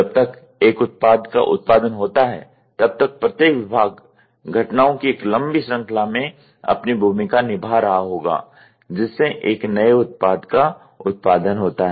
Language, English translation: Hindi, By the time a product is produced, each department would have performed its role in a long sequence of events, leading to a production of a new product